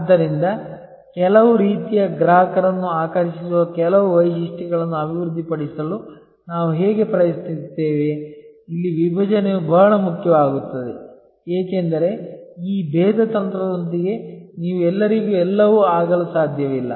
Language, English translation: Kannada, So, this is how actually we try to develop certain features that attractors certain type of customers, here segmentation becomes very important, because you cannot be everything to everybody with this differentiation strategy